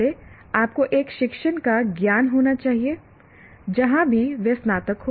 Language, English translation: Hindi, First, he should have sound knowledge of a discipline wherever that he graduated